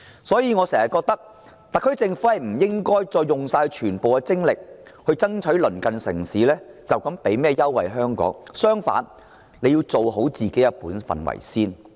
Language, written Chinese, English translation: Cantonese, 所以，我覺得特區政府不應繼續耗盡全部精力爭取鄰近城市為香港提供甚麼優惠，反而，香港要先做好自己的本分。, So I think the SAR Government should stop dedicating all of its energy to striving for the so - called concessions from our neighbouring cities . Rather Hong Kong should first do our own part properly